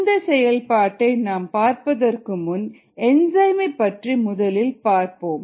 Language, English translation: Tamil, but before we look at that, let us look at enzymes themselves